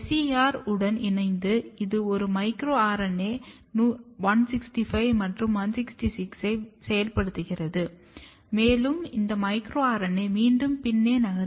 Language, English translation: Tamil, Together with SER, it activates a micro RNA 165 and 166, and this micro RNA moves back